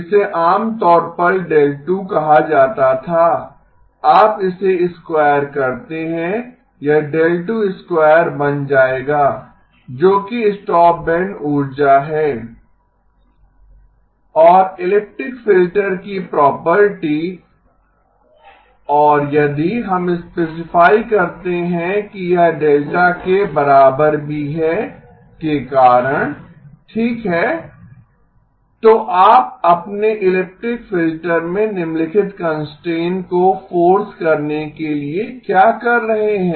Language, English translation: Hindi, This typically would have been called delta 2, when you square it, it will become delta2 squared that is the stopband energy and because of the elliptic filter property and if we specify that this is also equal to delta okay so what you are trying to force your elliptic filter to have the following constraint